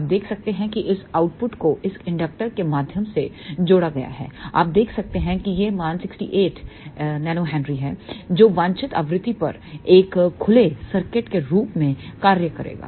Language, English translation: Hindi, You can see that the output here is connected through this inductor you can see this value is 68 nanohenry which will act as an open circuit at the desired frequency